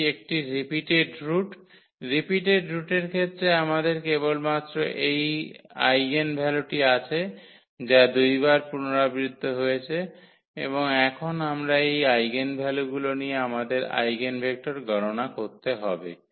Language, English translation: Bengali, So, it is a repeated root the case of the repeated root we have only this one eigenvalue which is repeated 2 times and now corresponding to this eigenvalue we need to compute the eigenvector